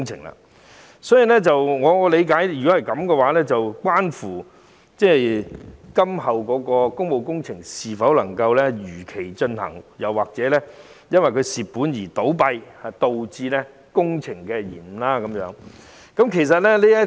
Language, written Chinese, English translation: Cantonese, 若然如此，便會關乎今後的工務工程能否如期進行，以及會否因中標公司虧本倒閉而導致工程延誤。, This will then give rise to a number of issues including whether subsequent public works can be taken forward on time and whether delay of works will be resulted if successful bidders fail to make ends meet and have to go bankrupt